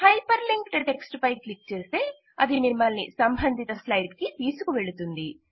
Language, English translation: Telugu, Clicking on the hyper linked text takes you to the relevant slide